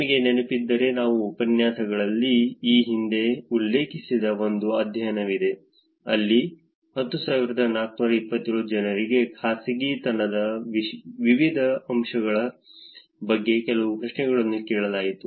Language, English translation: Kannada, If you remember, there was a study that I referred earlier in the lectures also, where 10427 people were asked some questions about different aspects of privacy